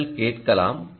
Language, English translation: Tamil, you can see this